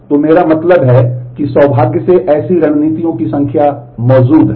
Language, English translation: Hindi, So, I mean fortunately such number of such strategies exist